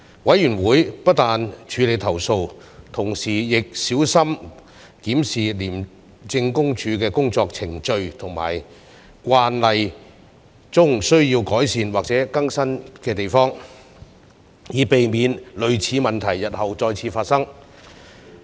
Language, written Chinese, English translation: Cantonese, 委員會不但處理投訴，同時亦小心檢視廉政公署的工作程序和慣例中需要改善或更新之處，以避免類似問題日後再次發生。, Moreover the Committee does not only handle the complaints against the officers concerned but also carefully examines the ICAC procedures and practices that require enhancement or updating to guard against similar problems in the future